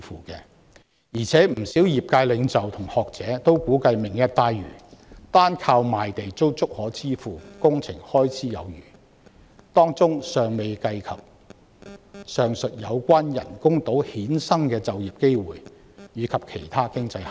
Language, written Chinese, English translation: Cantonese, 再者，不少業界領袖和學者均估計"明日大嶼願景"單靠賣地已足以支付工程開支有餘，當中尚未計及人工島衍生的就業機會與其他經濟效益。, Moreover a number of leaders of various industries and scholars have estimated that revenue from land sale alone can more than enough meet the construction costs of the Lantau Tomorrow Vision not taking into account the job opportunities and other economic benefits generated by the artificial island